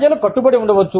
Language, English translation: Telugu, People may be committed